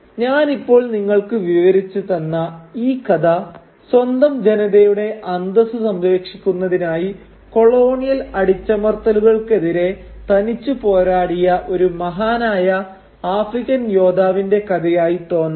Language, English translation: Malayalam, Now this story as I have just narrated it to you might appear to be a tale of a great African warrior engaged in a solitary fight against colonial oppression to protect the dignity of his own people